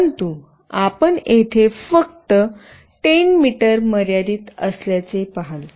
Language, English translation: Marathi, But, here you see that it is limited to 10 meters only